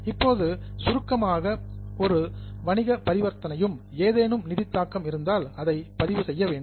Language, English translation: Tamil, Now, briefly, every business transaction needs to be recorded if it has some financial implication